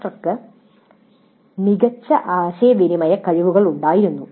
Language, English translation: Malayalam, The instructor had excellent communication skills